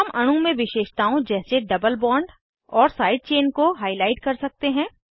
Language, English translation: Hindi, We can highlight the features like double bond and side chain in the molecule